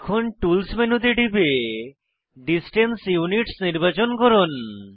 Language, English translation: Bengali, Now, click on Tools menu, select Distance Units